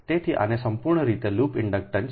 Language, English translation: Gujarati, so totally, this is called loop inductance right